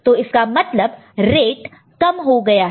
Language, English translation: Hindi, So, rate has been reduced